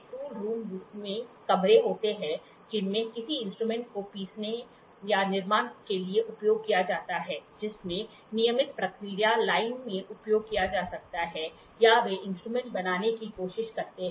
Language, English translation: Hindi, Tool room basically tool rooms are rooms where in which is used for grinding or manufacturing a tool which can be used in the regular process line or they try to make tools